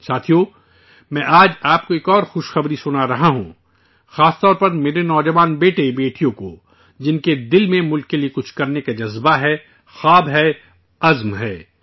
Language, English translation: Urdu, Friends, today I am sharing with you another good news, especially to my young sons and daughters, who have the passion, dreams and resolve to do something for the country